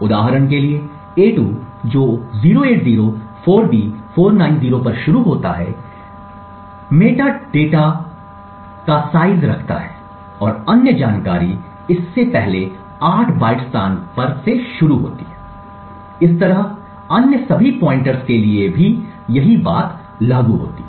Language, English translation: Hindi, So, for example a2 which starts at 0804B490 the metadata which holds the size and other information starts at the location 8 bytes before this, similarly for all other pointers